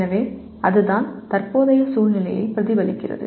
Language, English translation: Tamil, So that is what it reflects the present situation